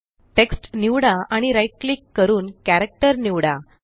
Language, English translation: Marathi, Select the text and right click then select Character